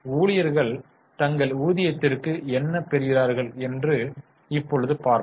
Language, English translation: Tamil, Now, let us see what employees get for it, that is their wages